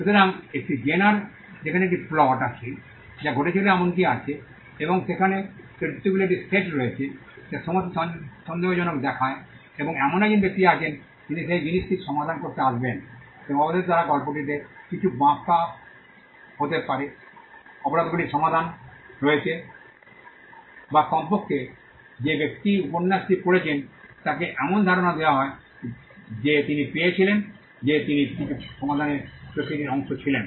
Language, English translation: Bengali, So, this is the genre there is a plot there is an even that happens and there are a set of characters all looking suspicious and there is a person who would come to solve that thing and eventually they could be some twist in the tale, eventually the crime is solved or at least the person who reads the novel is given an impression that he got he was a part of a process of solving something